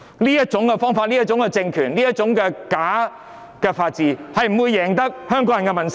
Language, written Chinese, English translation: Cantonese, 這種方法、這種政權、這種假法治，絕不會贏得香港人的民心。, This kind of approach this kind of regime and this kind of fake rule of law will never win the hearts of the people of Hong Kong